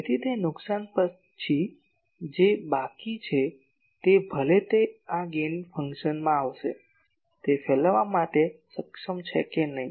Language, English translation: Gujarati, So, after that loss , whatever is remaining whether it is able to radiate that that will come from this Gain function